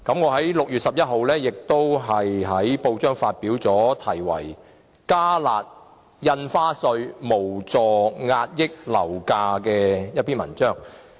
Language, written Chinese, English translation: Cantonese, 在6月11日，我也在報章發表題為"'加辣'印花稅無助遏抑樓價"的文章。, On 11 June I also wrote a newspaper article titled Enhanced stamp duty fails to curb property prices